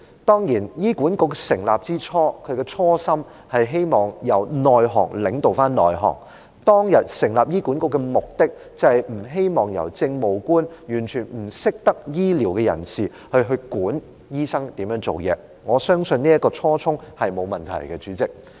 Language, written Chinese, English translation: Cantonese, 當然醫管局成立的初心，是希望由行業內的人領導行業內的人，當日成立醫管局的目的，是不希望由政務官這些完全不懂得醫療的人士管理醫生如何做事，我相信這初衷沒有問題，主席。, Of course the intention of setting up HA is that the people in the sector can be led by the people from the sector . The objective of setting up HA back then was not to have Administrative Officers who know nothing about healthcare managing doctors and telling doctors what to do . I believe that this intention is fine President